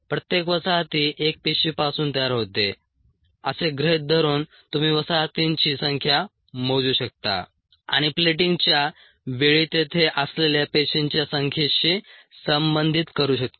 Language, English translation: Marathi, assuming that each colony arises from a single cell, you could count the number of colonies and relate them to the number of cells that were that were there in ah at the time when the plating was done